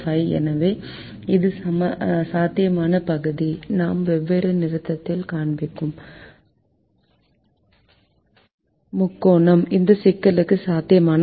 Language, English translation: Tamil, the triangle that we are shown different colour is the feasible region to this problem